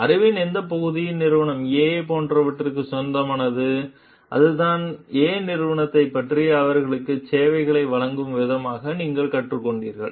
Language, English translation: Tamil, And which part of the knowledge is like proprietary to the like, company A and that is what you have learnt about company A in as a way of delivering services to them